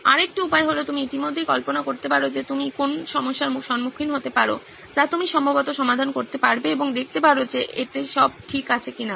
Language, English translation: Bengali, Another way is to already envision what could be some problems downstream that you will face, that you can probably address and see if it all fits it